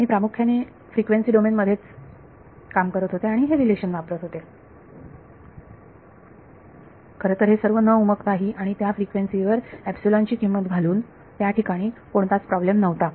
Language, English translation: Marathi, So, I was implicitly working in the frequency domain and at I was using this relation without really realizing it and putting the value of epsilon at that frequency, so there was no problem there